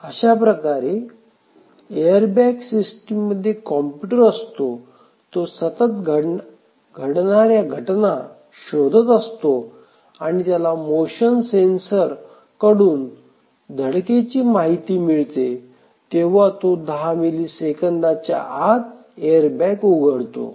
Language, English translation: Marathi, So, here just look at it that there is a computer inside this airbag system which is continuously monitoring the events and as soon as the motion sensor indicates that there is a collision the computer acts to deploy the airbag within 10 millisecond or less